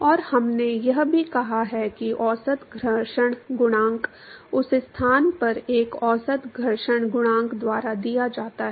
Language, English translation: Hindi, And we have also said that the average friction coefficient is given by one average friction coefficient in that location